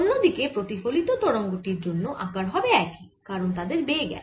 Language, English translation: Bengali, on the other hand, for the reflected wave, the size is going to be the same because the velocities are the same